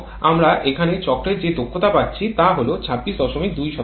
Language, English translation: Bengali, And the cycle efficiency that we are getting here is 26